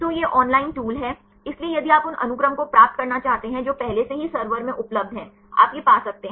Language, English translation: Hindi, So, this is the online tool; so if you want to get the sequences which are already available in the server; you can get it